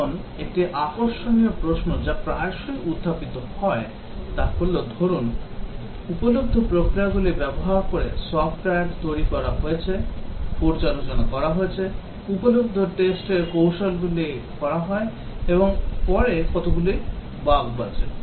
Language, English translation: Bengali, Now, one interesting question that is often raised is that suppose, software is developed using the available processes, reviews are carried out, available testing techniques are carried out, and after that how many bugs survive